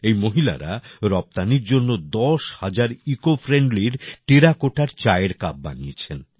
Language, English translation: Bengali, These women crafted ten thousand Ecofriendly Terracotta Tea Cups for export